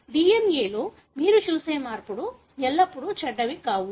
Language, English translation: Telugu, It is not always that the changes you see in the DNA are bad